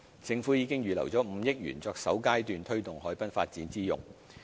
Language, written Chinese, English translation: Cantonese, 政府已預留5億元作首階段推動海濱發展之用。, The Government has earmarked 500 million for the first stage for taking forward harbourfront development